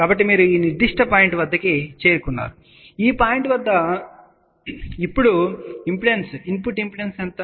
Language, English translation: Telugu, So, you have reached at this particular point and at this point, what is input impedance